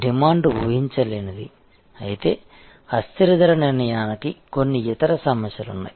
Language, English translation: Telugu, If the demand is unpredictable, then variable pricing has certain other problems